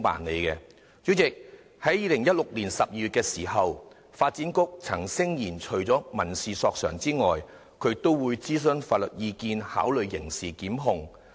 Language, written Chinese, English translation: Cantonese, 主席，發展局在2016年12月曾聲言，除民事索償外，也會諮詢法律意見，考慮提出刑事檢控。, President in December 2016 the Development Bureau claimed that in addition to making civil claims it would seek legal advice and consider initiating prosecution